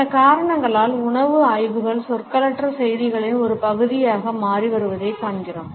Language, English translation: Tamil, Because of these reasons we find that food studies are fast becoming a part of nonverbal messages